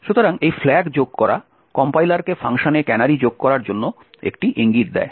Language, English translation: Bengali, So, adding this minus f stack is an indication to the compiler to add canaries to the functions